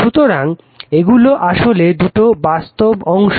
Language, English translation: Bengali, So, this is actually this two are real parts